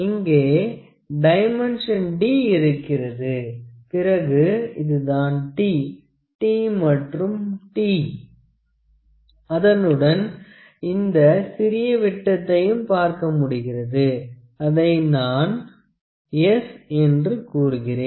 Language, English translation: Tamil, So, this dimensions small d is there then this small t, capital T, and t’, also we can see this small dia, let me call it s